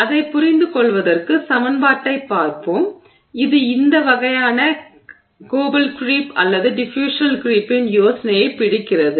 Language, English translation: Tamil, To understand that let's look at the equation which is which sort of captures this idea of the coble creep or the diffusional creep